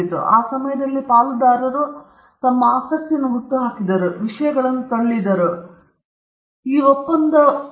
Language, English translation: Kannada, And in that time, there were stake holders putting up their interest and pushing things to it and some how we had this agreement on 20 years